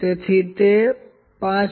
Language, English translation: Gujarati, So, it is 5